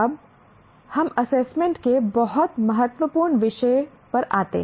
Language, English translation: Hindi, Now come to the what we call the very important topic of assessment